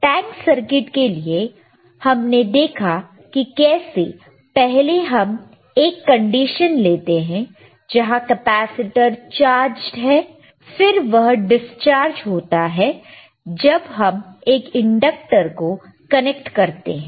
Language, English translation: Hindi, So, fFor thattank circuit, we have seen that how the, initially we can take a condition where the capacitor is charged and then it discharges, w when an inductor is connected and then